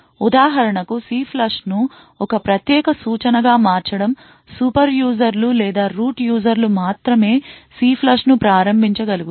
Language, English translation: Telugu, One possible countermeasure is to for example, is to make CLFLUSH a privilege instruction and only super users or root users would be able to invoke CLFLUSH